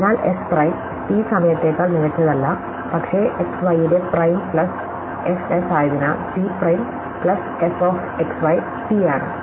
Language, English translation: Malayalam, So, so S prime is no better than T prime, but S prime plus f of x y is S, T prime plus f of x y is T